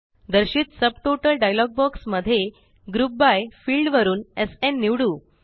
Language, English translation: Marathi, In the Subtotals dialog box that appears, from the Group by field, let us select SN